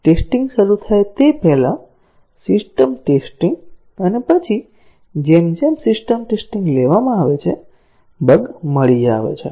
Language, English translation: Gujarati, Before testing starts, a system testing; and then, as the system testing is taken up, bugs get detected